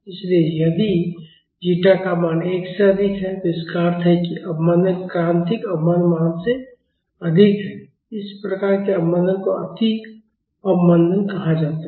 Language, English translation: Hindi, So, if the value of zeta is greater than 1, that means, the damping is more than the critical damping value that type of damping is called over damping